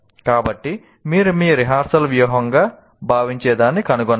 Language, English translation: Telugu, So you have to find what you consider your rehearsal strategy